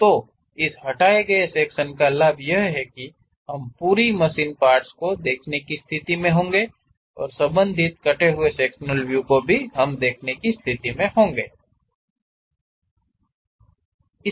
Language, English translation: Hindi, So, the advantage of this removed section is, at one side we will be in a position to see the complete machine element and also respective cut sectional views we can see